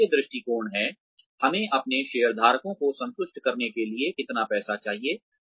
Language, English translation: Hindi, There is a financial perspective, how much money do we need to satisfy our shareholders